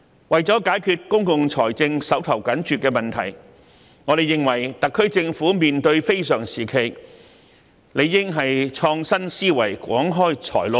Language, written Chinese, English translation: Cantonese, 為了解決公共財政緊絀的問題，我們認為特區政府際此非常時期，理應創新思維，廣開財路。, In order to address the problem of tight public finances we consider it necessary for the SAR Government to come up with innovative ideas and identify as many new sources of revenues as possible so as to cope with this extraordinary time